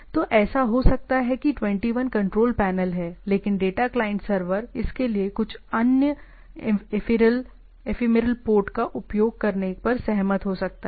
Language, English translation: Hindi, So, that can it may happen that 21 is the control panel, but the data client server can agree upon to use a the some other ephemeral port for that things